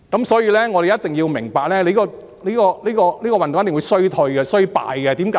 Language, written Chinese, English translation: Cantonese, 所以，我們必須明白，這個運動一定會衰敗，為甚麼呢？, Therefore we must understand that this movement is destined to fail . Why?